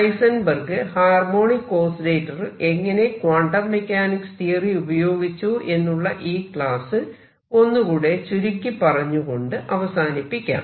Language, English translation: Malayalam, So, let me now conclude this lecture on Heisenberg’s application of his equation to harmonic oscillator and write